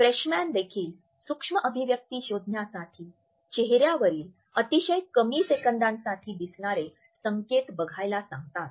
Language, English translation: Marathi, Freshman also says to look out for micro expressions which are some facial cues that appear for only a split second